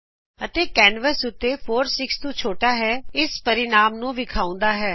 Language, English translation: Punjabi, and has displayed the result 4 is smaller than 6 on the canvas